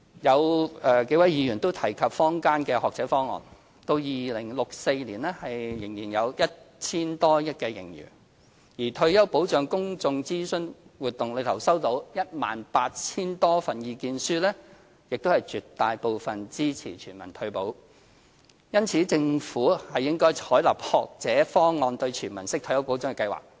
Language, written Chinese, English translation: Cantonese, 有數位議員提及坊間的"學者方案"到2064年仍有約 1,000 多億元盈餘，而退休保障公眾諮詢活動期間收到的 18,000 多份意見書中，絕大部分都支持全民退保，因此政府應採納"學者方案"等"全民式"退休保障計劃。, A few Members have mentioned that the Option of Academics from the community will be able to sustain over 100 billion surplus in 2064 and that among the more than 18 000 comments received during the Retirement Protection Public Engagement Exercise most opinions indicated support for universal retirement protection . In their opinion the Government should therefore adopt such proposals as the Option of Academics which is a universal retirement protection programme